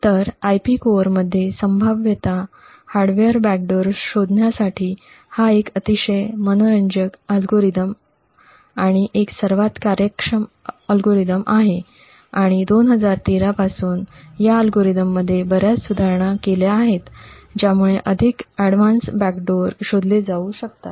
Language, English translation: Marathi, So, this is a very interesting algorithm and one of the most efficient algorithms to detect potential hardware backdoors present in IP cores and there have been various improvements over this algorithm since 2013, which could detect more advanced backdoors